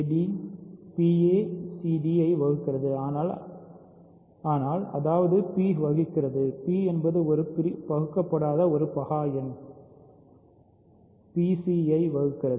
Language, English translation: Tamil, So, p divides a c d, but; that means, p divides, p is a prime number that does not divide a; so, p divides c d